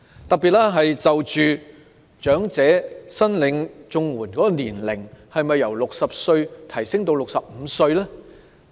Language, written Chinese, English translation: Cantonese, 特別是長者申領綜合社會保障援助的年齡，應否由60歲提高至65歲呢？, In particular should the eligibility age for elderly people to apply for Comprehensive Social Security Assistance CSSA be raised from 60 to 65?